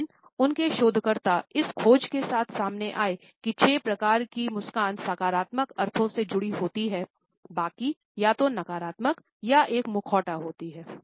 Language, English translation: Hindi, But his researchers had come up with this finding that only six types of a smiles are associated with positive connotations, the rest are either negative or a mask